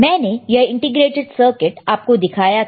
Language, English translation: Hindi, I have shown you this integrated circuit, isn't it